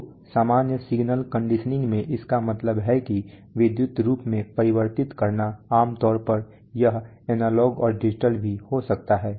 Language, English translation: Hindi, So the, in general signal conditioning means that converting to an electrical form generally analog and then signal processing is, could be analog it is could be digital also